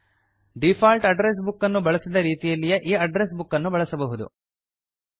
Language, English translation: Kannada, You can use this address book in the same manner you use the default address books